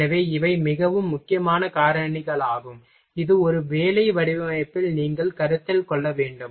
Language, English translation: Tamil, So, these are the very critical factors which is involved for you have to take consider in a work design